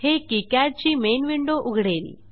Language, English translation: Marathi, This will close the KiCad main window